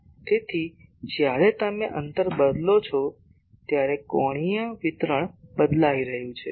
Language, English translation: Gujarati, So, as you change the distance the angular distribution is getting changed